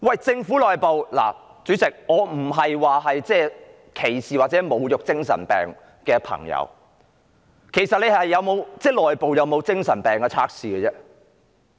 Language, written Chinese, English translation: Cantonese, 主席，我並非歧視或侮辱患精神病的朋友，其實政府內部有沒有精神病測試呢？, President I mean no discrimination or insult against people with mental disorder but are there actually tests for mental disorders in place within the Government?